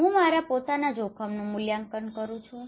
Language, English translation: Gujarati, I am evaluating my own risk